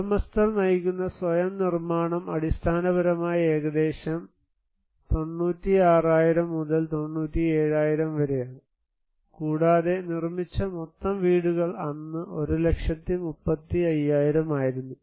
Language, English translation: Malayalam, Self construction that is owner driven basically is around 96,000 to 97,000, and the total houses constructed were 1 lakh 35,000 thousand that time